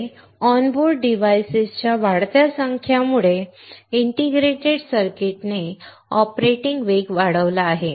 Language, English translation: Marathi, Next is that, due to the increased number of devices onboard, integrated circuits have increased operating speeds